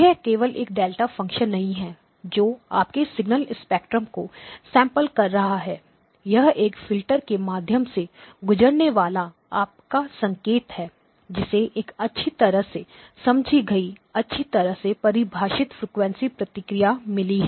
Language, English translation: Hindi, It is not a just a delta function that is sampling your signal spectrum; it is your signal passing through a filter which has got a well understood, well defined frequency response